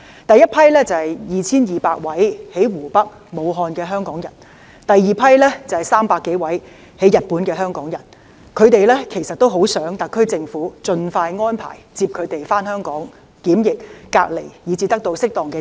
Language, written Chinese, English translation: Cantonese, 第一批是2200名身處湖北和武漢的香港人，第二批是300多名在日本的香港人，他們也很希望特區政府盡快安排接他們回港檢疫、隔離及得到適當治療。, The first group is the 2 200 Hong Kong people stranded in Hubei and Wuhan and the second group is the 300 - odd Hong Kong people in Japan . They all hope that the SAR Government will expeditiously arrange their return to Hong Kong for quarantine isolation and suitable treatment